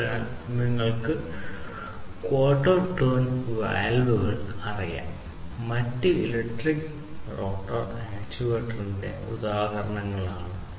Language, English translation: Malayalam, So, you know quarter turn valves, and different different other electrical motors for example: these are all examples of electric rotor actuator